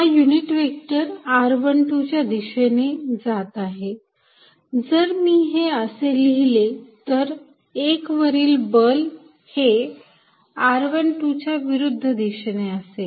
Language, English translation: Marathi, The unit vector is going to be in r 1 2 direction of magnitude unity, if I write like this then you notice that force on 1 is in the direction opposite of r 1 2